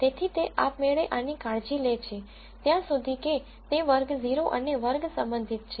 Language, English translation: Gujarati, So, it automatically takes care of this as far as class 0 and class 1 are concerned